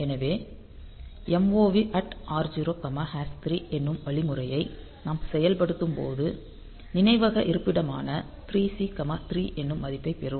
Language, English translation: Tamil, So, when we execute this instruction MOV at the rate r0 comma hash 3; so, it will be getting the memory location 3 C will get the value 3